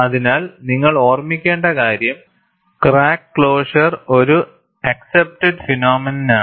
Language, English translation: Malayalam, So, what you will have to keep in mind is, crack closure is an accepted phenomena